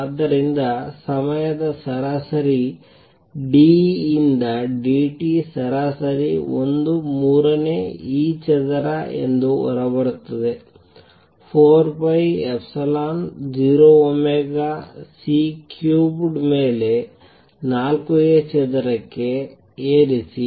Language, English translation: Kannada, So, time average d E by d t an average comes out to be 1 third e square over 4 pi epsilon 0 omega raise to 4 A square over C cubed